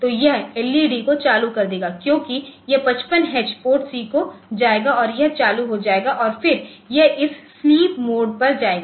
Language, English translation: Hindi, So, this will turn on the LEDs because this 55 x will go to PORTC and it will be turned on and then it will go to this a sleep